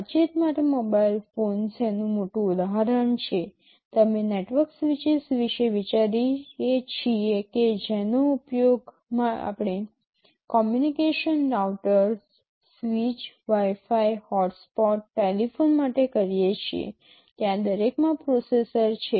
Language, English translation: Gujarati, For communication the mobile phones is the biggest example; you think of the network switches that we use for communication routers, switch, Wi Fi hotspots, telephones there are processors inside each of them today